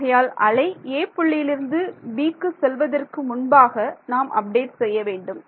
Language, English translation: Tamil, So, before I before the wave travels from point a to point b is when I do my update right